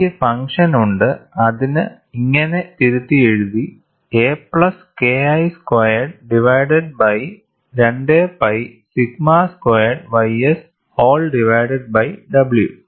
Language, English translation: Malayalam, I have the function rewritten as a plus K 1 square divided by 2 pi sigma square ys whole divided by w